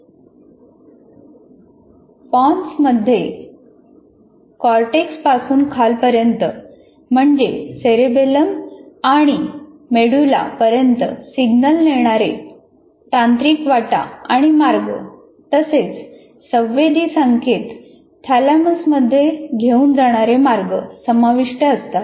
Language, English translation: Marathi, And it's a kind of, it includes neural pathface and tracks that conduct signals from the cortex down to the cerebellum and medulla and tracks that carry the sensory signals up into the thalamus